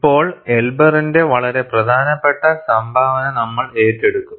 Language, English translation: Malayalam, And now, we will take up a very important contribution by Elber